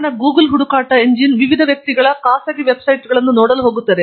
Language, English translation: Kannada, The reason is Google search engine is going to look at private websites of various individuals